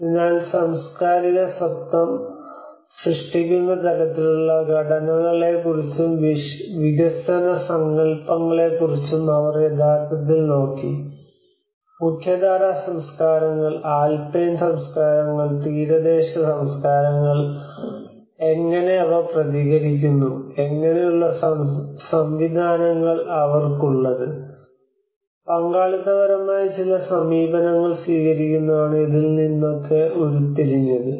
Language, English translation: Malayalam, So she actually looked at how what kind of structures that create the cultural identity, and that concepts of development and she worked in this cultural environment framework of how the mainstream cultures, alpine cultures, and the coastal cultures how they respond, what kind of systems they do have, and that is what she derives some very participatory approaches